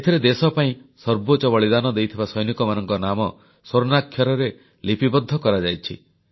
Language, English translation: Odia, This bears the names of soldiers who made the supreme sacrifice, in letters of gold